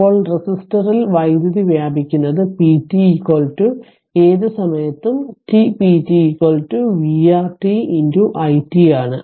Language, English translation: Malayalam, Now, power dissipated in the resistor is p t is equal to at any time t, p t is equal to v R t into i t